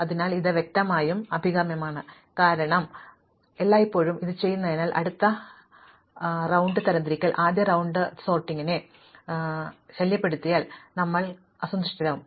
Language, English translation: Malayalam, So, this is obviously desirable, because we do it all the time, we really would be very unhappy if the next round of sorting disturbed the first round of sorting